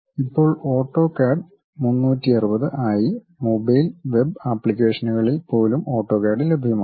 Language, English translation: Malayalam, Nowadays, AutoCAD is available even on mobile and web apps as AutoCAD 360